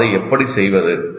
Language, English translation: Tamil, How do we do it